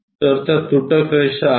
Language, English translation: Marathi, So, those are the dashed lines